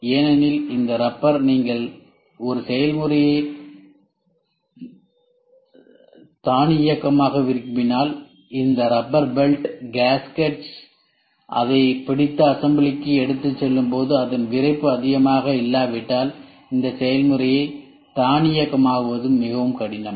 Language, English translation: Tamil, Because since these rubber if you want to automate a process this rubber rubber belt, gaskets holding it and taking it for assembly if the stiffness is not so high then it becomes very difficult to automate the process